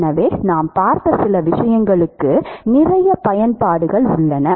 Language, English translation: Tamil, So, there is a lot of applications for some of the things that we have seen